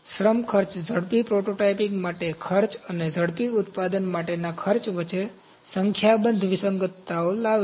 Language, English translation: Gujarati, Labour costs bring up a number of discrepancies between cost for rapid prototyping and cost for rapid manufacturing